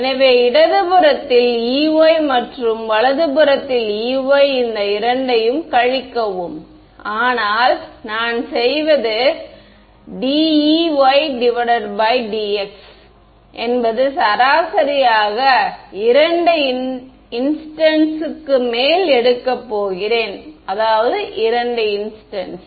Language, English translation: Tamil, So, E y on the left and E y on the right and subtract these two, but what I do is d E y by dx I am going to take the average over 2 time instance; 2 time instances